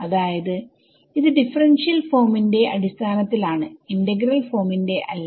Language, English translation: Malayalam, So, it is based on differential form, not integral form